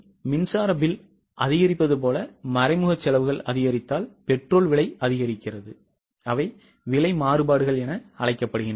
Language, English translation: Tamil, If the indirect cost increase like, say, electricity bill increases, cost of petrol increases, they are called as price variances